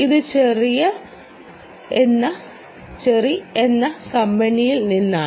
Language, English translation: Malayalam, this is from a company called cherry